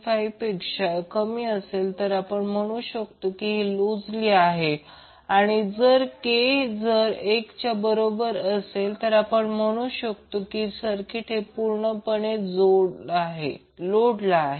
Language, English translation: Marathi, 5, we will say that it is loosely coupled and in case k is equal to one will say circuit is perfectly coupled